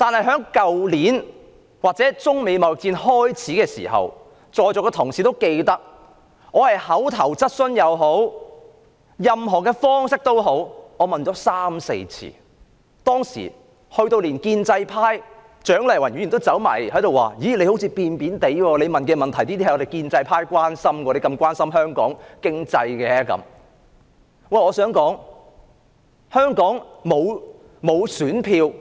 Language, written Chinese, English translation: Cantonese, 去年中美貿易戰開始之時，在座的同事諒必記得，我以口頭質詢或其他方式提問三四次，連建制派的蔣麗芸議員也對我說，我好像有點轉變，我提出的問題是建制派關心的，為何我那麼關心香港的經濟。, Last year when the trade war between China and the United States started I as Members present probably remember raised a question three or four times in the oral question session or through other means . Even Dr CHIANG Lai - wan of the pro - establishment camp told me that I seemed to have changed as the question I raised was also the concern of the pro - establishment camp and asked why I was so concerned about the economy of Hong Kong